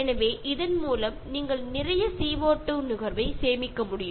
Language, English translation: Tamil, So, by that you can save lot of CO2 consumption